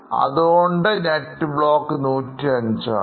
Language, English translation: Malayalam, Net block is 105